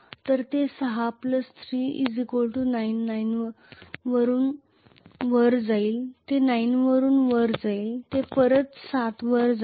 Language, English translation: Marathi, So it is going to 6 from 6plus 3 it will go to 9 from 9it will go back to 7